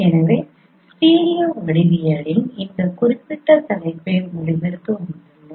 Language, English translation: Tamil, So we have come to the end of this particular topic of stereo geometry